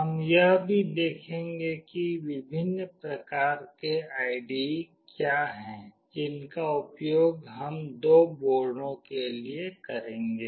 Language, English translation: Hindi, We will also look into what are the various kinds of IDE that we will be using for the two boards